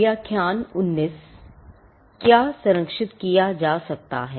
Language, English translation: Hindi, What may be protected